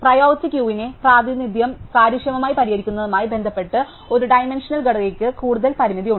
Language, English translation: Malayalam, One dimensional structure has a severe limitation with respect to solving the representation of the priority queue in an efficient way